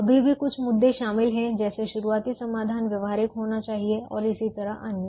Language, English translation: Hindi, there are still some issues involved: the starting solution has to be basic, feasible and so on